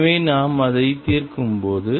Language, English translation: Tamil, So, when we solve it